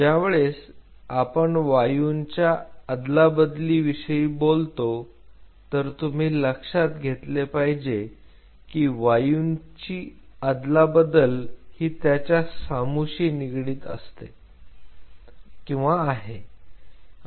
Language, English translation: Marathi, Now when we talk about the Gaseous Exchange you have to understand the gaseous exchange is directly linked to PH